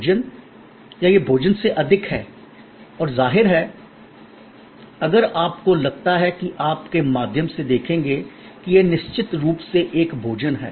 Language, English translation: Hindi, Food and or is it more than food and obviously, if you think through you will see, that it is a food is definitely the core